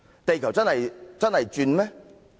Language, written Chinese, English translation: Cantonese, 地球真的在轉動嗎？, Is the Earth really rotating?